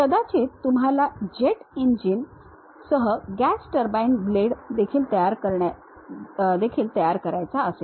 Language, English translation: Marathi, Perhaps you want to prepare gas turbine blade with jet engine also